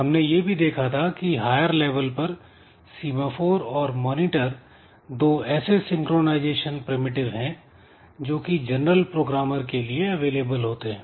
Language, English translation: Hindi, And ultimately we have seen that at a higher level we can have the semaphore and monitor as the two synchronization primitive that is that are available for general programmers